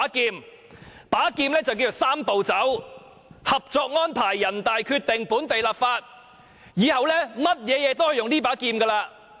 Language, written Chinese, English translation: Cantonese, 這把劍叫作"三步走"：《合作安排》、人大決定、本地立法，以後做任何事都可以用這把劍。, The sword is called the Three - step Process namely Co - operation Arrangement NPC decision local legislation the Government may make use of this sword in future on any issue